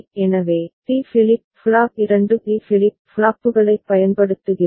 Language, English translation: Tamil, So, the D flip flop that we shall be using 2 D flip flops that are there